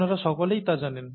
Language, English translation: Bengali, You all know that